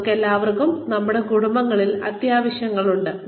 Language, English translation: Malayalam, We all have exigencies in our families